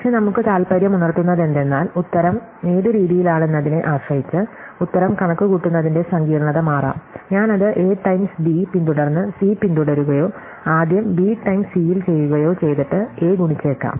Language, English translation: Malayalam, But, what is interesting for us, now is that the complexity of computing the answer can change depending on which order I do it, whether I do it as A times B followed by C or first at B times C and then might be multiply by A